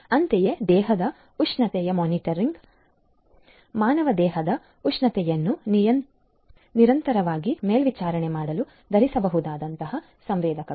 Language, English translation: Kannada, Similarly, body temperature monitors wearable sensors to continuously monitor the human body temperature